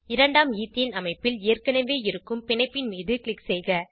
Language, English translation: Tamil, Click on the existing bond of the second Ethane structure